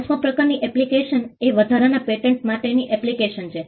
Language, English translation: Gujarati, The fifth type of application is an application for a patent of addition